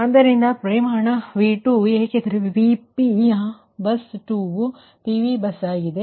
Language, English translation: Kannada, so magnitude v two because vp, your ah, bus two is a pv bus